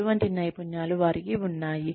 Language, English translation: Telugu, What are the skills, they have